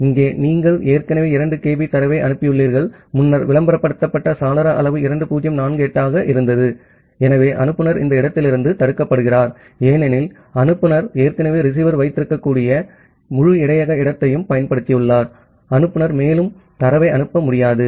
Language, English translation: Tamil, So, here because you have already sent 2 kB of data and the earlier advertised window size was 2048, so the sender is blocked from this point, because the sender has already utilized the entire buffer space that the receiver can hold, the sender cannot send any more data